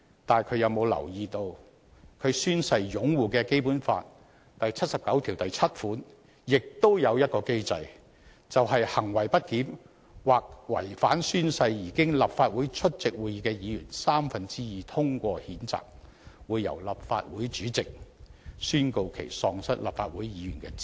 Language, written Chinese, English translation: Cantonese, 但他有否留意到他宣誓擁護的《基本法》第七十九條第七項亦設有一項機制，便是"行為不檢或違反誓言而經立法會出席會議的議員三分之二通過譴責"，會"由立法會主席宣告其喪失立法會議員的資格"？, But does he notice that there is also a mechanism under Article 797 of the Basic Law which he has sworn to uphold that the President of the Legislative Council shall declare that a member of the Council is no longer qualified for the office when he or she is censured for misbehaviour or breach of oath by a vote of two - thirds of the members of the Legislative Council present?